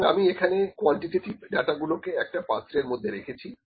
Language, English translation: Bengali, So, I have put the quantitative data into bin as well